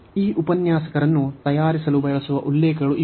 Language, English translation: Kannada, So, these are the references used for preparing these lecturers